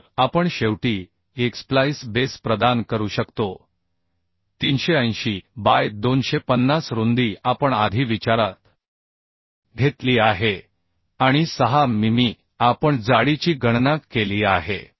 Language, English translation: Marathi, so we can provide a splice plate finally as 380 by 250 width we have considered earlier and 6 mm we have calculated the thickness